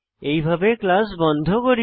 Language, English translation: Bengali, This is how we close the class